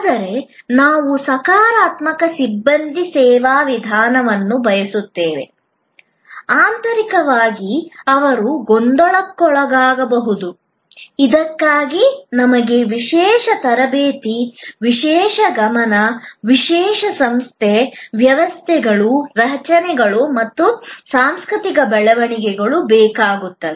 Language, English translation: Kannada, But, yet we want a positive personnel service approach, even internally they may be in turmoil for which we need special trainings, special attentions, special organization, systems, structures and cultural developments